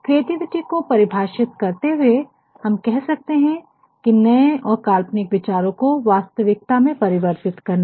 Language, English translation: Hindi, Creativity can be defined as the act of turning new and imaginative ideas into reality, whatever you see today